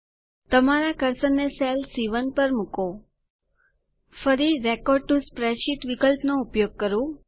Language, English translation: Gujarati, Place your cursor on cell C1, again use the record to spreadsheet option